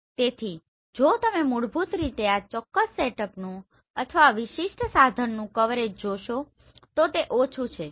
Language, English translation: Gujarati, So if you see the coverage of this particular setup or this particular instrument is basically less